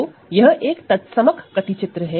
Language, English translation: Hindi, So, this is the identity map and this is another map